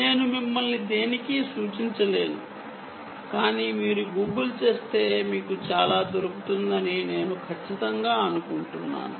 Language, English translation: Telugu, i cant point you to anything, but i am sure if you google you will find a lot of it